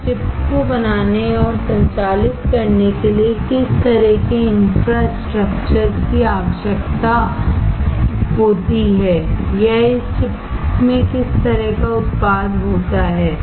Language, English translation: Hindi, And what kind of infrastructure is required to manufacture and to operate this chip or what kind of product application does this chip have